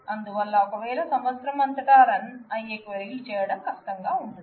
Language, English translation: Telugu, So, if queries which run across year will be difficult to do